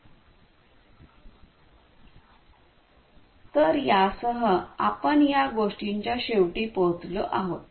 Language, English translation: Marathi, So, with this we come to an end of this thing